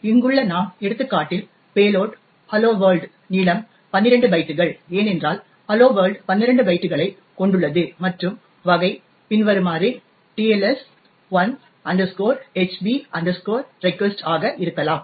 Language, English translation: Tamil, So, in our example over here the payload will be hello world, the length would be 12 bytes because hello world comprises of 12 bytes and the type would be as follows, TLS1 HB REQUEST